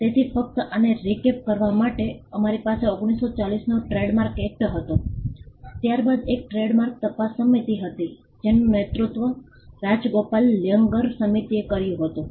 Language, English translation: Gujarati, So, just to recap so, we had a Trademarks Act of 1940, then there was a trademarks inquiry committee; which was headed by Rajagopal Iyengar the Iyengar committee